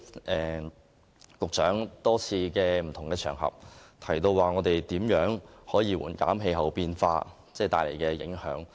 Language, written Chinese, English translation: Cantonese, 局長在多個場合提到，會致力紓緩氣候變化帶來的影響。, The Secretary has reiterated on many occasions his commitment to mitigate the impact of climate change